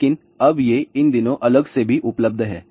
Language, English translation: Hindi, But, these now days these are separately available also